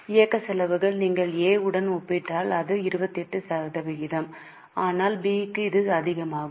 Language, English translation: Tamil, Operating expenses if you compare for A it is 28% but for B it is higher